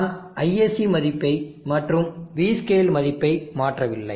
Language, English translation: Tamil, 1 I have not change the ISC value and the V scale value